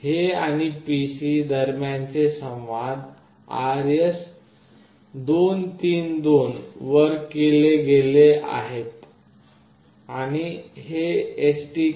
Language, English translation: Marathi, The communication between this and the PC is done over RS232, and this STK500 uses 115